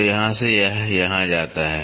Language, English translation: Hindi, So, from here it goes to here